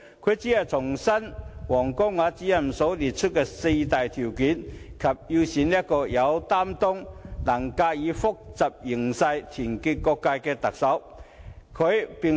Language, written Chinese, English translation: Cantonese, 他只是重申王光亞主任列出的四大條件，以及要選出一個"有擔當、能駕馭複雜形勢、團結各界"的特首。, Instead he merely reiterated the four major prerequisites set out by Director WANG Guangya and highlighted the need to elect a Chief Executive who would take on responsibilities have the ability to master complicated situations and unite different sectors